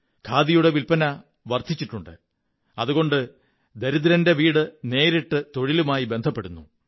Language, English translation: Malayalam, Sale of Khadi has increased and as a result of this, the poor man's household has directly got connected to employment